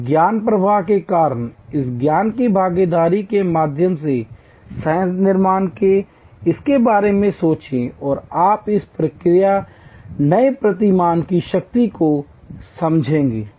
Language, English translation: Hindi, Because of this knowledge flow, because of this knowledge co creation through participation, think about it and you will understand the power of this new paradigm